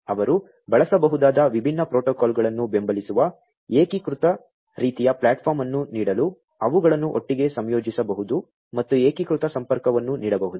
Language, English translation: Kannada, They could also be used they could be integrated together to offer an unified kind of platform supporting different protocols they could be used and unified connectivity can be offered